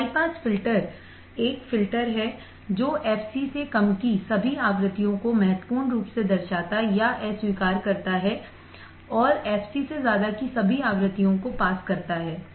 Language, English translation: Hindi, A high pass filter is a filter that significantly attenuates or rejects all the frequencies below f c below f c and passes all frequencies above f c